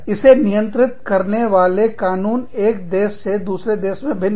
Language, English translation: Hindi, The laws governing this are, different from, country to country